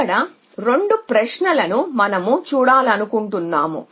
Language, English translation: Telugu, So they at 2 questions we want to look at